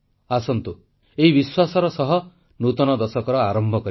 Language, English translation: Odia, With this belief, come, let's start a new decade